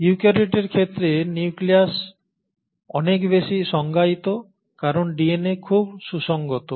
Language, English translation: Bengali, Now the nucleus in case of eukaryotes is much more well defined because the DNA is very well organised